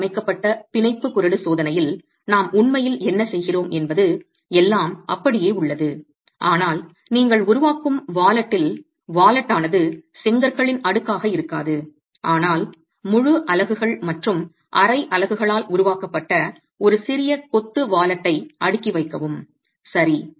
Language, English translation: Tamil, But interestingly you can carry out a modified bond range test and in the modified bond range test what you are actually doing is everything remains the same but in the wallet that you create the wallet is no longer a stack of bricks but a stack, a small masonry wallet that is created by full units and half units